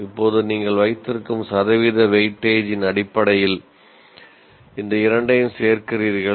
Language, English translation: Tamil, And now you add these two based on the percentage weightage that you have